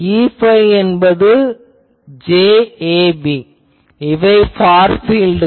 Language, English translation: Tamil, And E phi will be j ab so, these are the far fields